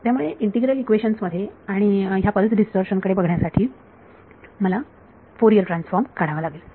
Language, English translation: Marathi, So, in a integral equation and I have to do Fourier transform to look at pulse distortion